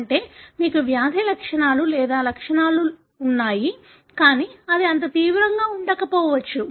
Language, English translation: Telugu, That is you have the disease or the symptoms, but it may not be that severe